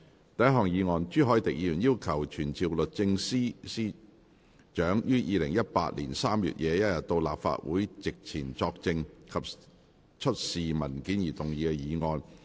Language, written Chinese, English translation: Cantonese, 第一項議案：朱凱廸議員要求傳召律政司司長於2018年3月21日到立法會席前作證及出示文件而動議的議案。, First motion Motion to be moved by Mr CHU Hoi - dick to summon the Secretary for Justice to attend before the Council on 21 March 2018 to testify and produce documents